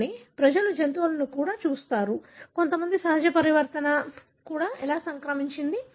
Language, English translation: Telugu, But people also looked at animals, which some how inherited a natural mutation